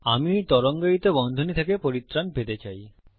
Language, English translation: Bengali, I can get rid of these curly brackets